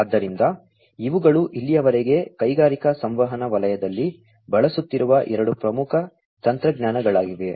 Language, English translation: Kannada, So, these are the two main technologies, that are being used in the industrial communication sector, so far